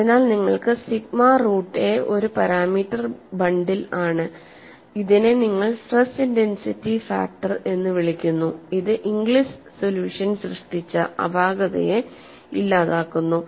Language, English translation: Malayalam, So, you have sigma root a is a parameter bundle, which you call it as stress intensity factor, which has dispel the anomaly created by Inglis solution